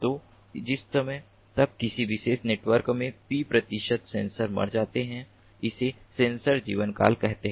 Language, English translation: Hindi, so the time until which, let us say, p percentage of sensors die in a particular network is the network lifetime